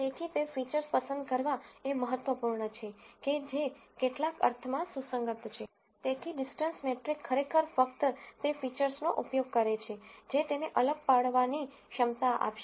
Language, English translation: Gujarati, So, it is important to pick features which are which are of relevance in some sense, so the distance metric actually uses only features which will give it the discriminating capacity